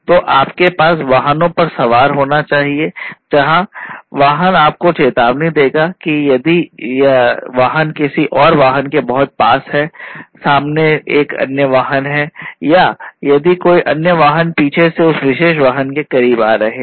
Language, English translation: Hindi, So, you know you have you know you must have you know boarded vehicles where the vehicle will warn you if the vehicle is too close to the vehicle, another vehicle in front or if there is another vehicle coming from the back, which is close to that particular vehicle